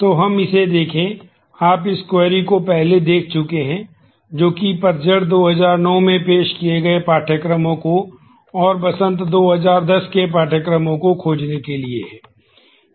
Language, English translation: Hindi, So, let us look at this; you have already seen this query before find courses offered in fall 2009, and in fall in spring 2010